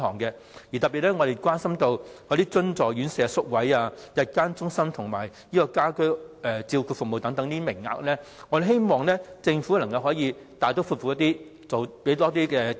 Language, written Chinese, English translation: Cantonese, 我們特別關心津助院舍宿位、日間中心及家居照顧服務等名額，我們希望政府可以大刀闊斧，投放更多資源。, We are particularly concerned about space in subvented homes day care centre and home care service places . We hope the Government can make a bold and decisive move to allocate more resources in these areas